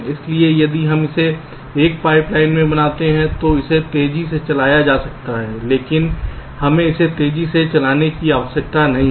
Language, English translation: Hindi, so if we make it in a pipe line then it can be run faster, but we do not need it to run faster